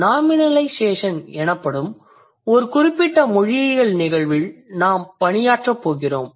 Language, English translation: Tamil, So let's say we are going to work on certain linguistic phenomenon called nominalization